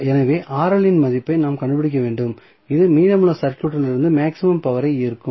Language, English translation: Tamil, So, we have to find out the value of Rl which will draw the maximum power from rest of the circuit